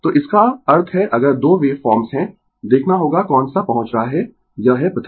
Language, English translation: Hindi, So, that means, if you have 2 waveforms, you have to see which one is reaching it is first